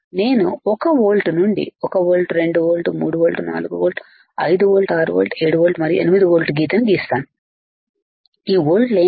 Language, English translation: Telugu, This I had done now what I will do I will I will draw line from one volt onward 1volt, 2 volt, 3 volt 4 volt, 5 volt, 6 volt, 7 volt and 8 volt what is this volts